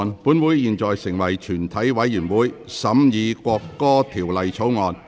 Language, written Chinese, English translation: Cantonese, 本會現在成為全體委員會，審議《國歌條例草案》。, This Council now becomes committee of the whole Council to consider the National Anthem Bill